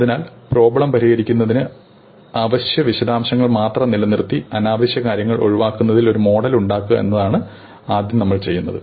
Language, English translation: Malayalam, So, our first step is to model this problem in such a way that we retain the essential details, which are relevant to solving the problem and get rid of all the unnecessary details